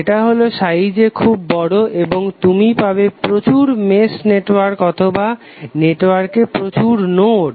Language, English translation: Bengali, That is very large in size and you will end up having hundreds of mesh networks or hundreds of nodes in the network